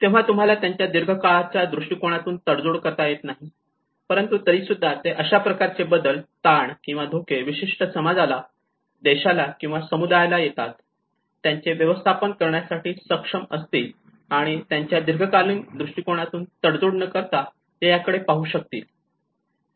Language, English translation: Marathi, So you do not compromise their long term prospect, but still they are able to manage you know what kind of change, what kind of stress or a shock which has come to that particular society or a country or a community and how they could able to look at that without compromising their long term prospects